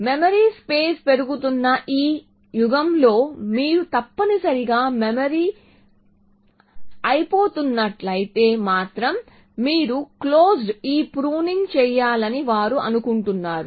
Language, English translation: Telugu, In this era of increasing memory available they say that you should do this pruning of closed only if you are running out of memory essentially